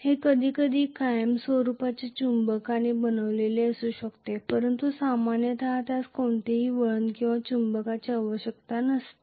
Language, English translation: Marathi, It may be made up of a permanent magnet sometimes but generally it is need not have any winding or even a magnet